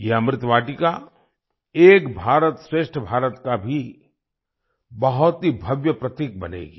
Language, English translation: Hindi, This 'Amrit Vatika' will also become a grand symbol of 'Ek Bharat Shresth Bharat'